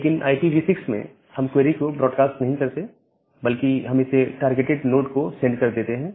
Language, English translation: Hindi, But in case of IPv6, we do not broad cast this query, rather we send to a targeted node